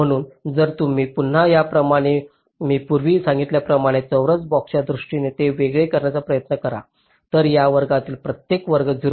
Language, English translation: Marathi, so if you again, similarly as i said earlier, try to discretize it in terms of square boxes, each of this square will be point three, two micron